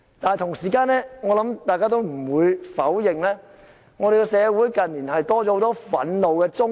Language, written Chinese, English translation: Cantonese, 但同時，我想大家也不會否認，香港社會近年多了很多憤怒的中年。, But it is also undeniable that recently we can also see an increasing number of frustrated middle - age people in society